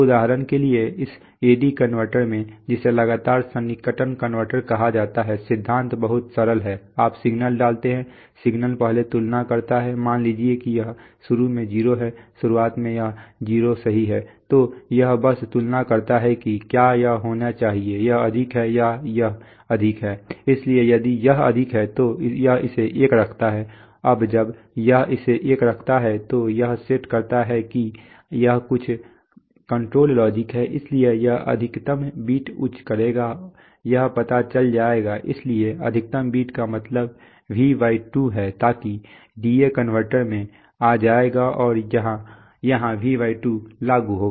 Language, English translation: Hindi, So for example in this A/D converter which, which is called successive approximation converter, principle is very simple you put a signal, the signal first compares with the, suppose this is, initially this is 0, initially this 0 right, so this just compares whether this should be, this is higher or this is higher, so if this is higher it puts it 1, now when it puts it 1, it sets the this is some control logic, so this will put the maximum bit high, that will know, so maximum bit means V/2 so that will come to the D/A converter and will apply a V/2 here